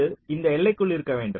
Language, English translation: Tamil, you will have to fit within that budget